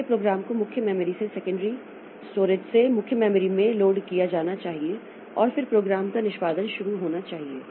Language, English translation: Hindi, So, program has to be loaded from the secondary storage into the main memory and then the program execution should start